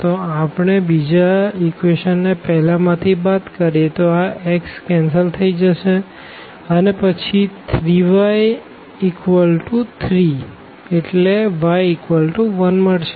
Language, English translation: Gujarati, So, we will get here the x will get cancelled and then we will get 3 y is equal to 3 which gives us the y is equal to 1